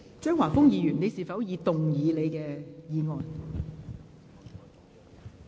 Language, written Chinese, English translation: Cantonese, 張華峰議員，你是否已動議你的議案？, Mr Christopher CHEUNG have you moved your motion?